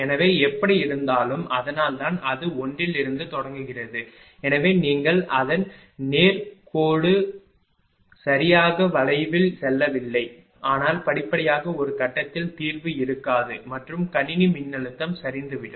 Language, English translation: Tamil, So, in anyway so but that is why it is starting from 1, so if you go on its almost not linear exactly curvilinear, but gradually will find at some point there will be no solution and system voltage will collapse right